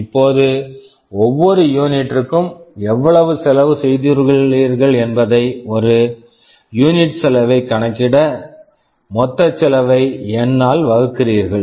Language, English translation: Tamil, Now, if you try to calculate how much cost we have incurred for every unit, the per unit cost, you divide the total cost by N